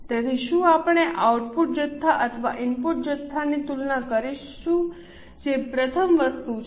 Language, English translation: Gujarati, So, shall we compare output quantities or input quantities